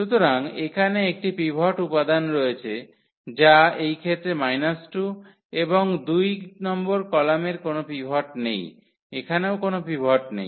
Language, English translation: Bengali, So, here this is the pivot element which is minus 2 in this case and the column number two does not have a pivot here also we do not have pivot